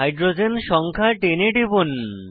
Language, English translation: Bengali, Click on hydrogen number 10